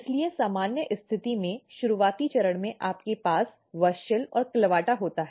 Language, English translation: Hindi, So, under normal condition what happens at early stage you have WUSCHEL and CLAVATA on